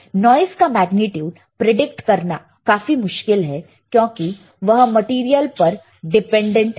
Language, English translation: Hindi, The magnitude of the noise is difficult to predict due to its dependence on the material